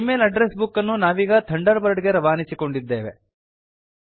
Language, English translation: Kannada, We have imported the Gmail address book to Thunderbird